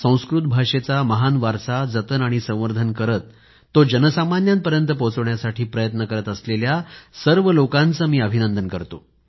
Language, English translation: Marathi, I congratulate all those actively involved in preserving & conserving this glorious heritage, helping it to reach out to the masses